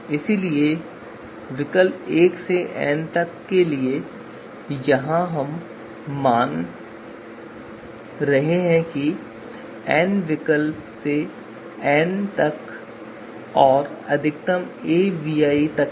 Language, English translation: Hindi, So max a so we are assuming that there are n alternative so a ranging from one to n and max of max a of v ai